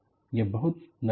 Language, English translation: Hindi, It is very soft